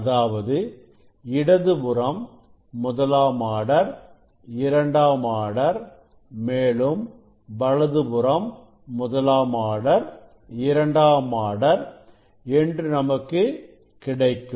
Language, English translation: Tamil, left side and side we will see first order second order third order etcetera this other side also we will see first order second order third order